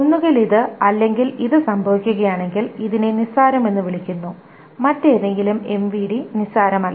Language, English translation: Malayalam, This, either this or this happens, then this is called a trivial and any other MVD is non trivial